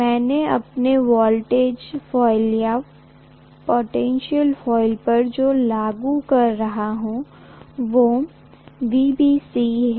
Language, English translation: Hindi, What I am applying to my voltage coil or potential coil is VBC